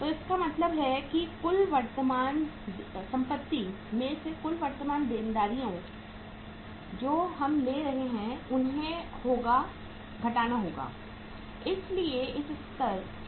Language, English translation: Hindi, So it means total current assets minus total current liabilities we will be taking